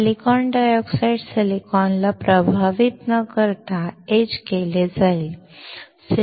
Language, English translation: Marathi, Silicon dioxide will get etched without affecting silicon